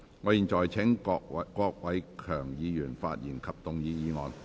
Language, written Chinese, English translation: Cantonese, 我現在請郭偉强議員就議案發言。, I now call upon Mr KWOK Wai - keung to speak and move the motion